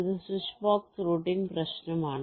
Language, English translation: Malayalam, this can be a switch box routing